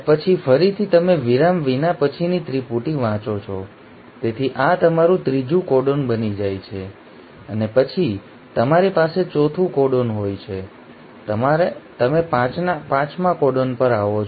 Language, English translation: Gujarati, Then again you read the next triplet without the break, so this becomes your third codon and then you have the fourth codon and then you come to the fifth codon